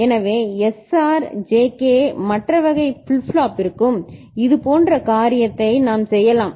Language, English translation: Tamil, So, similar thing we can do for SR, JK other type of flip flop